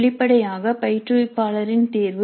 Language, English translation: Tamil, Again this is the choice of the instructor